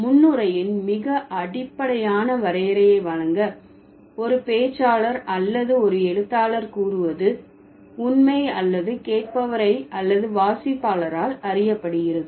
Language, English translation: Tamil, To give a very basic definition of presupposition, this is what a speaker or a writer assumes is true or known by a listener or a reader